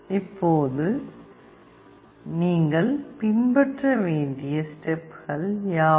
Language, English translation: Tamil, Now, what are the steps to be followed